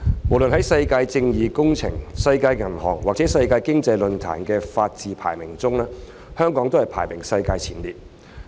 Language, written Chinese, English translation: Cantonese, 無論在世界正義工程、世界銀行或世界經濟論壇的法治排名，香港均排名世界前列。, The rule of law of Hong Kong is in the top ranking worldwide according to the World Justice Project the World Band and WEF